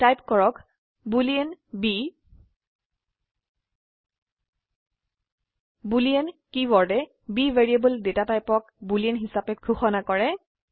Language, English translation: Assamese, Type boolean b The keyword boolean declares the data type of the variable b as boolean